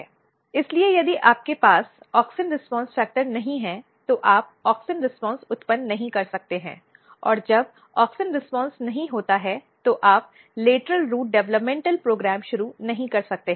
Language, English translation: Hindi, So, if you do not have auxin response factor, you cannot generate auxins response, and when there is no auxin response you cannot initiate lateral root developmental program